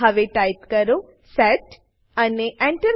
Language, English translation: Gujarati, Now type set and press Enter